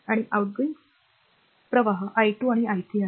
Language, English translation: Marathi, And outgoing currents are i 2 and i 3